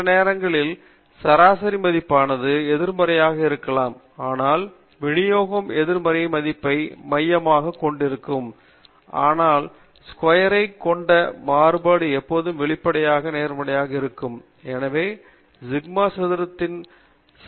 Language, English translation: Tamil, Sometimes, the mean value may be negative, the distribution may be centered at a negative value, but the variance which is sigma squared is always obviously positive and so is the standard deviation square root of sigma squared which we call as sigma or the standard deviation is also positive